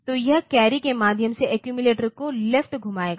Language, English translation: Hindi, So, it will also rotate the accumulator left through the carry